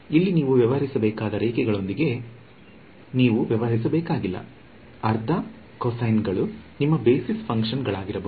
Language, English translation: Kannada, So, you can extend this idea you dont have to deal with lines you can deal with you know half cosines these can be your basis function